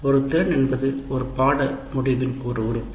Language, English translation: Tamil, A competency is an element of a course outcome